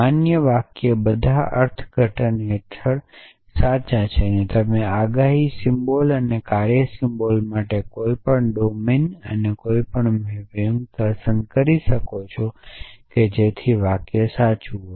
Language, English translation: Gujarati, A valid sentence is true under all interpretation you can choose any domine and any mapping for the predicates symbols and function symbols and the sentence will be true